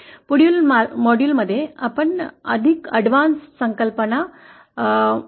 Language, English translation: Marathi, In the next module we shall be further covering the more advanced concepts